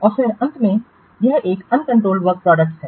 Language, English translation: Hindi, And then last one is this uncontrolled work products